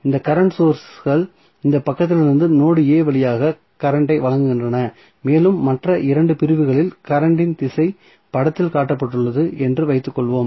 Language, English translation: Tamil, So, this current sources supplying current through node A from this side and let us assume that the direction of current in other 2 segment is has shown in the figure